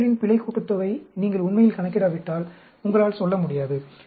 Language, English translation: Tamil, You will not be able to tell, unless you actually calculate the error sum of squares